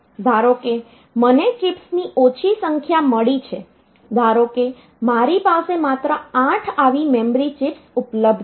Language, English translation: Gujarati, Suppose I have got say less number of chips, suppose I have got only say 8 such chips only 8 such memory chips are available